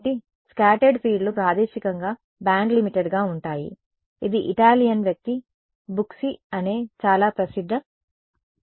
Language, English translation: Telugu, So, scattered fields are spatially bandlimited, this is the very famous paper by Italian person called Bucci